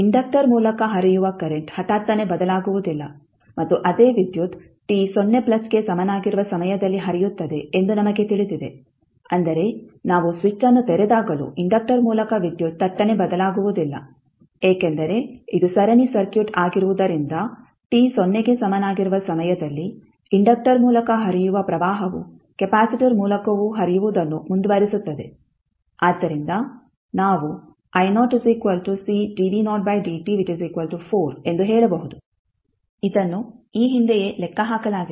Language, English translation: Kannada, Next we know that the current through inductor cannot change abruptly and it is the same current flows through at time t is equal to 0 plus means even when we open the switch the current across the current through the inductor cannot change abruptly, so what will be the, since it is the series circuit so the current which is flowing through inductor at time t is equal to 0 will continue to flow through the capacitor also, so we can say i naught is nothing but C dv naught by dt is equal to 4 ampere which we calculated previously